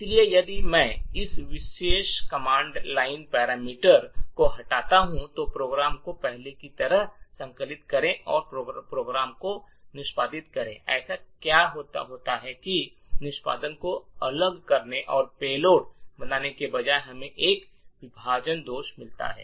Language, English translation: Hindi, So, if I remove this particular command line parameter, compile the program as before and execute the program, what happens is that instead of subverting execution and creating the payload we get a segmentation fault